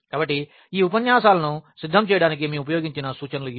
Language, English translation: Telugu, So, these are the references we have used to prepare these lectures and